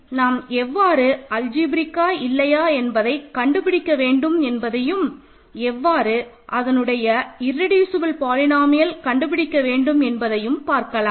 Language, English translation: Tamil, So, how do we find whether it is algebraic or not and if so, how do you find its irreducible polynomial